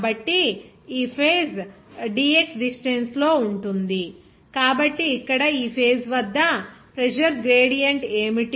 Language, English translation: Telugu, So, this face will be at a distance of dx, so what will be the pressure gradient there at this face here